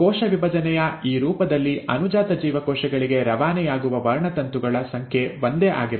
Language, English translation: Kannada, In this form of cell division, the number of chromosomes which are passed on to the daughter cells remain the same